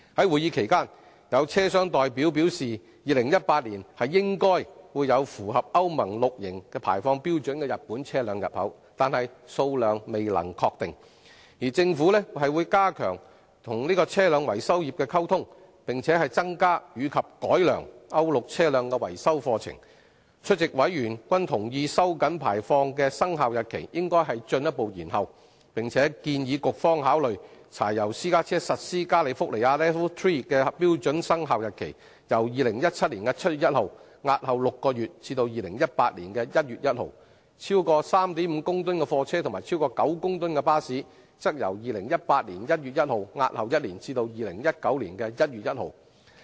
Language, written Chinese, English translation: Cantonese, 會議期間，有車商代表表示 ，2018 年應該有符合歐盟 VI 期排放標準的日本車輛入口，但數量未能確定，而政府會加強與車輛維修業溝通，並增加及改良歐盟 VI 期車輛的維修課程，出席委員均同意收緊排放的生效日期應進一步延後，並建議局方考慮將柴油私家車實施加利福尼亞 LEV III 標準的生效日期，由2017年7月1日押後6個月至2018年1月1日；而超過 3.5 公噸的貨車和超過9公噸的巴士，則由2018年1月1日押後1年至2019年1月1日。, At the meeting a representative from vehicle suppliers indicated that compliant vehicles of Japanese make meeting the Euro XI emission standards would probably be imported by 2018 but the quantity was uncertain . And the Government would strengthen communication with the vehicle maintenance trade and raise both the number and quality of courses on the maintenance of Euro VI vehicles . Members present agreed that the commencement dates for tightening the emission standards should be further deferred and proposed that the Bureau defer the commencement dates of the California LEV III standards for diesel private cars by six months from 1 July 2017 to 1 January 2018 and by one year from 1 January 2018 to 1 January 2019 for goods vehicles with design weight of more than 3.5 tonnes and buses with design weight of more than 9 tonnes